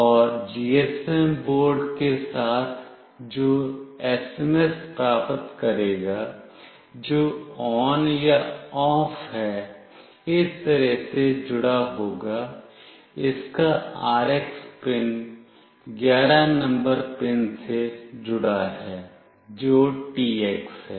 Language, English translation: Hindi, And with the GSM board, which will receive the SMS that is either ON or OFF, will be connected like this; RX pin of this is connected to pin number 11, which is the TX